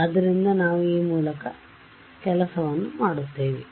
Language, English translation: Kannada, So, we will just work through this